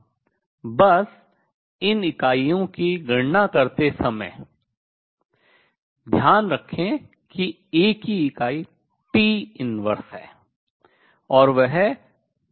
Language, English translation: Hindi, Just keep in mind in working out these units that unit of A are T inverse and that same as B u nu T